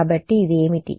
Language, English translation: Telugu, So, what is del